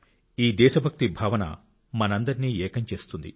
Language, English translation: Telugu, This feeling of patriotism unites all of us